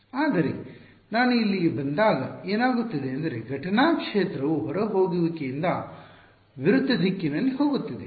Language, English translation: Kannada, But when I come here what is happening, incident field is actually going in the opposite direction from outgoing